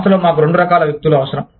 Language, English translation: Telugu, We need, both kinds of people, in the organization